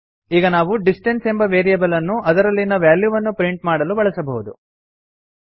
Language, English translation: Kannada, Now we shall use the variable distance to print the value stored in it